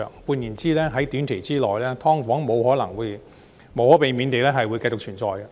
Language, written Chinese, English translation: Cantonese, 換言之，在短期之內，"劏房"無可避免地會繼續存在。, In other words it is inevitable that subdivided units will continue to exist in the short term